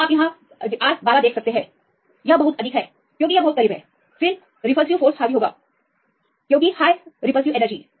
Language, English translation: Hindi, So, you can see R 12; that is very high because this is very close; then repulsive will dominate because the high repulsive energy